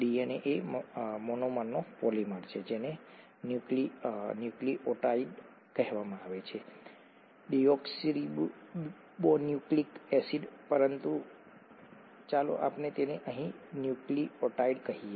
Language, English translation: Gujarati, DNA is a polymer of the monomer called a nucleotide; deoxynucleotide; but let’s call it nucleotide here